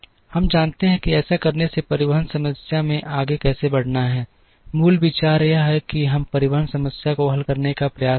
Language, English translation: Hindi, We know how to proceed in a transportation problem by doing this, the basic idea is we try and solve the transportation problem